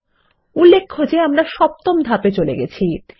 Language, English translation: Bengali, Please note that we have skipped to Step 7